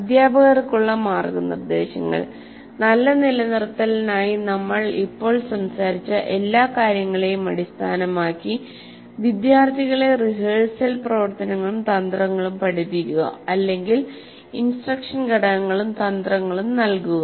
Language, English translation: Malayalam, Now guidelines to teachers based on all the things that we have now talked about, for good retention, teach students rehearsal activities and strategies or give the instructional components and strategies